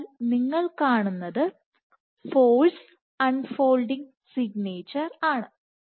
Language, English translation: Malayalam, So, what you will observe is the force unfolding signature